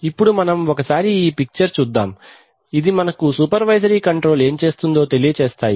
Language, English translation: Telugu, So let us look at these pictures, this picture explains what a supervisory controller does